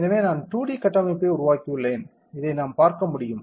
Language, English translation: Tamil, So, I have made the 2D structure we can see this correct